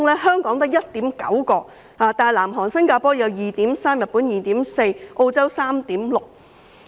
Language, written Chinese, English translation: Cantonese, 香港只有 1.9， 但南韓和新加坡有 2.3， 日本有 2.4， 澳洲則有 3.6。, In Hong Kong there are only 1.9 whereas in South Korea and Singapore there are 2.3 . In Japan there are 2.4 and in Australia 3.6